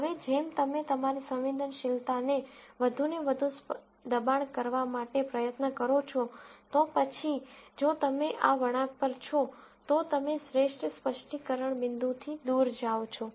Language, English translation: Gujarati, Now, as you try to push your sensitivity to be more and more, then if you are sitting on this curve, you are going away from the best specificity point